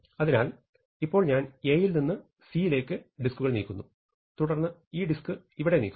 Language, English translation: Malayalam, So, now I move things from A to C, now what I do, I move this disk here